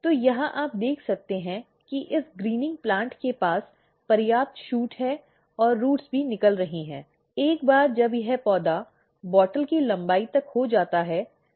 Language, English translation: Hindi, So, here you can see this greening plant has enough shoot and roots are also coming out once this plant is about this the length of the bottle